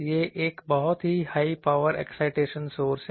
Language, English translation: Hindi, It is a very high power excitation source